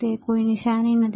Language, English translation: Gujarati, It does not have any sign